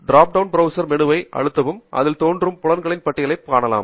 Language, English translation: Tamil, you can press this drop down menu and you would see a list of fields that will be appearing and what are the various fields